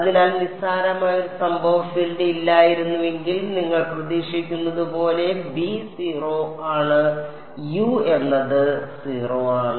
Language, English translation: Malayalam, So, trivial you can see if there was no incident field there is no scattering b is 0, u is 0 as you expect